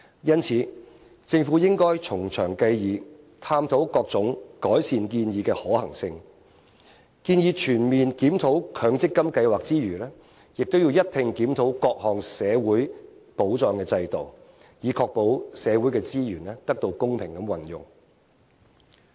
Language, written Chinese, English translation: Cantonese, 因此，政府應該從長計議，探討各種改善建議的可行性，建議在全面檢討強積金計劃之餘，亦要一併檢討各項社會保障制度，以確保社會資源得到公平運用。, Therefore the Government should serious contemplate and review all other possible alternatives to improve the situation . I recommend the Government that on top of the comprehensive review on the MPF Scheme it should review other social protection schemes too so as to ensure the fair use of resources in society